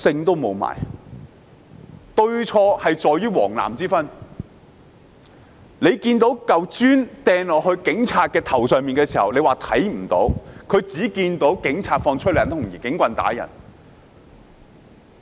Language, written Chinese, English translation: Cantonese, 對錯是在於黃藍之分，當有人將磚頭擲到警察頭上時，有些人竟說看不到，他們只看到警察施放催淚彈，使用警棍打人。, whether he is on the yellow side or on the blue side . Some surprisingly said that they did not see people hurling bricks at police officers but they only saw police officers firing tear gas rounds and beating up people with batons